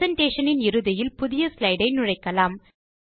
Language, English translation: Tamil, Insert a new slide at the end of the presentation